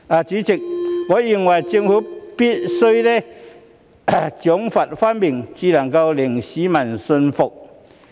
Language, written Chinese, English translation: Cantonese, 主席，我認為政府必須賞罰分明，才能令市民信服。, President I think the Government must be fair in meting out rewards and punishments before it can earn the trust of the general public